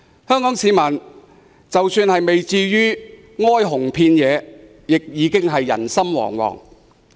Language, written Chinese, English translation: Cantonese, 香港市民即使不至於哀鴻遍野，亦已經人心惶惶。, While it may be too exaggerated to say that Hong Kong is swarmed with the unemployed people are actually panic - stricken